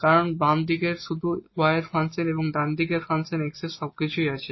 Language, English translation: Bengali, So, we have this side everything the function of y and the right hand side we have the function of x